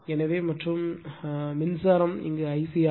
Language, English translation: Tamil, So, and the current is I c